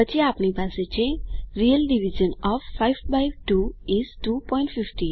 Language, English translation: Gujarati, then we have the real division of 5 by 2 is 2.5